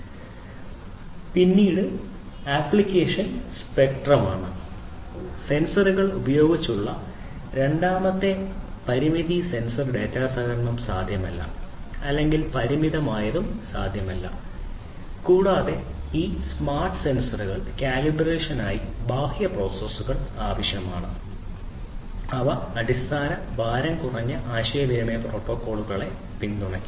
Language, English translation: Malayalam, Narrow application spectrum is the second limitation sensor data aggregation using the sensors is not possible or limitedly possible and external processor for sensor calibration is required for these smart sensors and also they would support very basic lightweight communication protocols